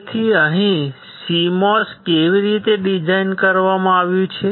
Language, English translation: Gujarati, So, here this is how the CMOS is designed